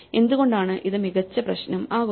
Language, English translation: Malayalam, So, why is this are better problem